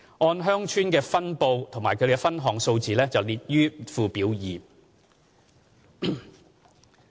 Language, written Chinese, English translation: Cantonese, 按鄉村分布及其分項數字列於附表二。, A breakdown of the details by villages is at Annex 2